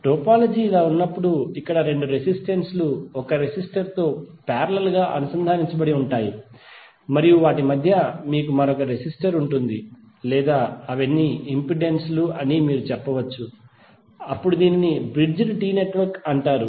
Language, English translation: Telugu, When the topology is like this where two resistances are connected parallelly with one resistor and in between you have another resistor or may be you can say all of them are impedances then it is called Bridged T network